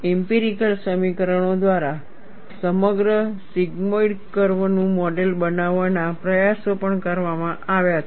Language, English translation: Gujarati, Efforts have also been made to model the entire sigmoidal curve through empirical equations